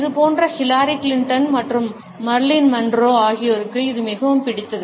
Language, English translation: Tamil, This is a favourite of people such a Hillary Clinton and Marilyn Monroe